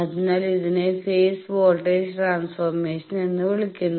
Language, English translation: Malayalam, So, this is call in phase voltage transformation